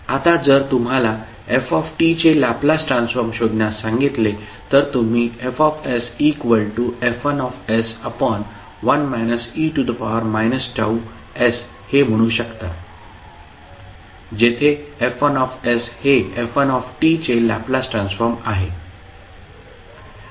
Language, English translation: Marathi, Now, if you are asked to find out the Laplace transform of f t, you will say F s is nothing but F1s upon e to the power minus T s, where F1s is the Laplace transform of first period of the function